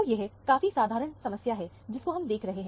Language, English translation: Hindi, So, it is a fairly simple problem that we dealt with